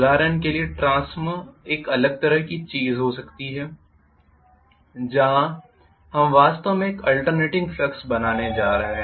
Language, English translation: Hindi, We can have a different thing like a transformer for example, where we are going to actually create an alternating flux